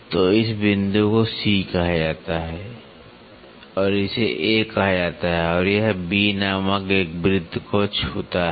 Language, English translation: Hindi, So, this point is called as C and this is called as A and this touches A circle call B